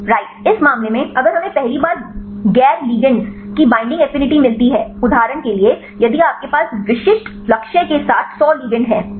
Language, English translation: Hindi, Right in this case if we first we get the binding affinity of non ligands right for example, if you have 100 ligands, with the specific target right